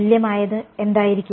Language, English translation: Malayalam, What will be the equivalent